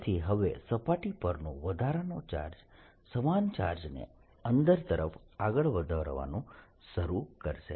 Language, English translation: Gujarati, so now this charge, extra charge in the surface will start pushing in the same charge inside, pushing towards center